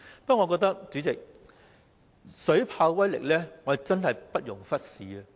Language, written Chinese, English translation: Cantonese, 不過，水炮車的威力真的不容忽視。, Moreover the force of water cannon vehicles must not be underestimated